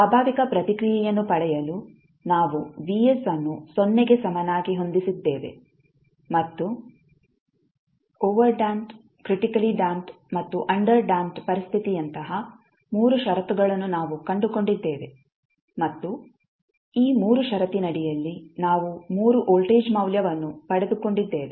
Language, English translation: Kannada, To get the natural response we set Vs equal to 0 and we found the 3 conditions like overdamped, critically damped and underdamped situation and we got the 3 voltage value under this 3 condition